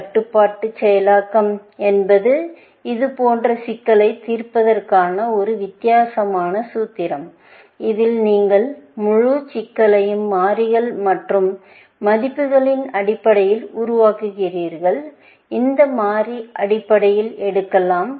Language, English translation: Tamil, Constrain processing is just a different formulation of solving such problems in which, you formulate the entire problem in terms of variables, and values, that variable can take, essentially